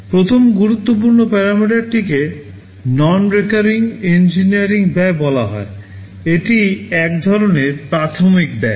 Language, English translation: Bengali, First important parameter is called non recurring engineering cost, this is some kind of initial cost